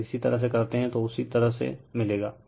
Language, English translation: Hindi, If you do so, same way you will get it